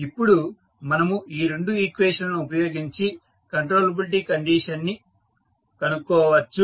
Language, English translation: Telugu, Now, we will use these two equations to find out the controllability condition